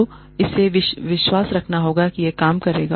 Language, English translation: Hindi, Two, has to have faith, that this will work